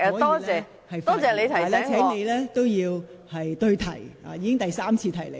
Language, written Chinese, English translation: Cantonese, 但我請你在發言時對題，我已是第三次提醒你。, But I urge you to make your speech relevant to the subject and I am reminding you for the third time